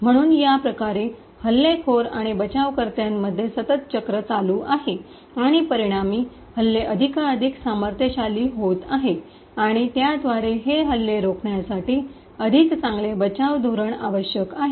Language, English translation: Marathi, So, in this way there is a constant cycle between the attackers and defenders and as a result the attacks are getting more and more powerful and thereby better defend strategies are required to prevent these attacks